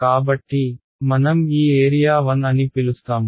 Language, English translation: Telugu, So, we will we will call this region 1